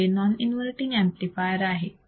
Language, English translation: Marathi, This is a non inverting amplifier